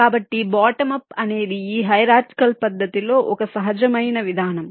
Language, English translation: Telugu, so bottom up is the natural approach in this hierarchical method